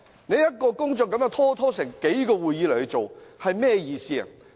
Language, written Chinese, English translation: Cantonese, 一項工作要拖延數個會議來審議，意義何在？, What is the point of dragging on the scrutiny of an item for several meetings?